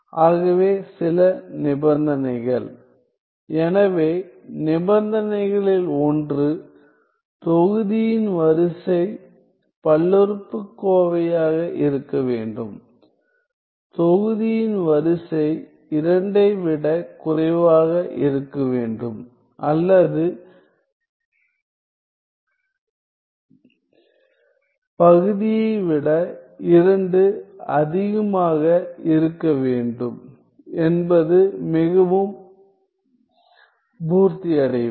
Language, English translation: Tamil, So, some conditions; so, one of the conditions that the order of the numerator should be the polynomial order of the numerator should be less than 2 or more than that of the denominator is quite satisfied